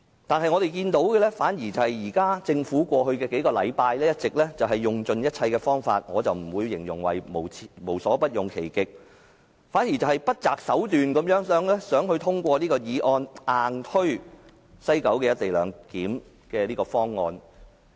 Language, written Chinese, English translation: Cantonese, 可是，我們看到的反而是政府在過去數星期一直用盡一切方法——我不會形容政府"無所不用其極"——而是不擇手段地想通過這項議案，硬推廣深港高速鐵路西九龍站的"一地兩檢"方案。, What we have seen in the past few weeks was that the Government has been exhausting all unscrupulous means―I would not say the Government is using its utmost endeavours―in order to have this motion passed and take forward forcibly the co - location arrangement at the West Kowloon Station of XRL